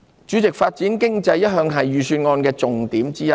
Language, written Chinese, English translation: Cantonese, 主席，發展經濟一向是預算案的重點之一。, President economic development has always been a top priority of the Budget